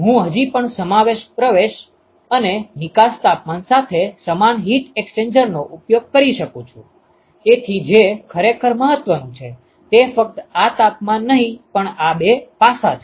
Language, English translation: Gujarati, I could still use the same heat exchanger with similar inlet and outlet temperatures, so what really matters is these two aspects not just the temperature